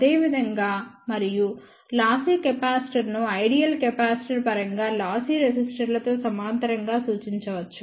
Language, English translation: Telugu, Similarly and lossy capacitor can be represented in terms of ideal capacitor in parallel with lossy resistors